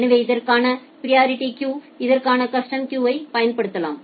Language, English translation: Tamil, So, you can apply a priority queue for this, and the custom queue for this